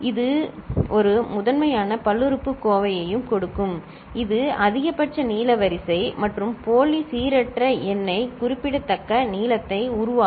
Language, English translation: Tamil, That will also give a primitive polynomial that will also give a maximal length sequence and pseudo random number getting generated of the particular length